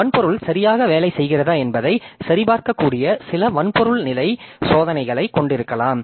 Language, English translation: Tamil, The hardware layer, so we can have some hardware level tests that can verify that the hardware is working correctly